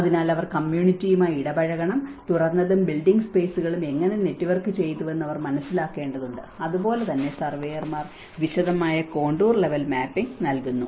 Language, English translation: Malayalam, So, they have to engage with the community, they have to understand how the open and build spaces have been networked and similarly the surveyors provide a detailed contour level mapping